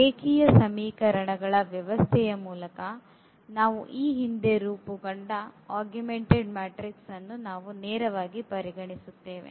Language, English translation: Kannada, We consider directly the augmented matrix which we have earlier formed through the system of linear equations